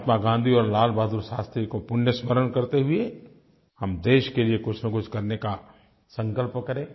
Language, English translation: Hindi, Let us all remember Mahatma Gandhi and Lal Bahadur Shastri and take a pledge to do something for the country